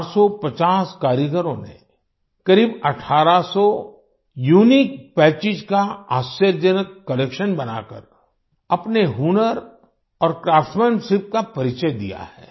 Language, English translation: Hindi, 450 artisans have showcased their skill and craftsmanship by creating an amazing collection of around 1800 Unique Patches